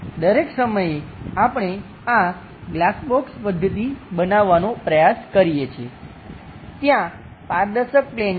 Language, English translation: Gujarati, So, all the time, we are trying to construct this glass box method, where there are transparent planes